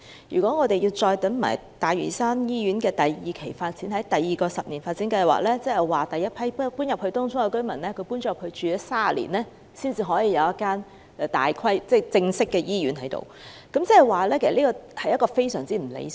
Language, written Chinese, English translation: Cantonese, 如果北大嶼山醫院的第二期發展要待第二個醫院發展計劃落實才能推展，屆時第一批遷往東涌的居民便已在當區居住了30年，才可以有一間正式的醫院，這是非常不理想的。, By the time when the second - phase development of NLH can be taken forward following the implementation of the second HDP the first batch of residents who moved to Tung Chung will have lived in the district for 30 years before they are provided with a formal hospital . This is very undesirable